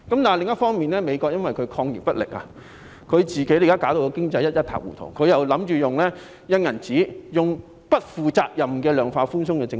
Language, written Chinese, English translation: Cantonese, 另一方面，美國因為抗疫不力，現時經濟一塌糊塗，特朗普又打算印鈔、推出不負責任的量化寬鬆政策。, On the other hand due to inept efforts against the epidemic the economy of the United States is in a shambles . TRUMP also plans to print banknotes and introduce a quantitative easing policy irresponsibly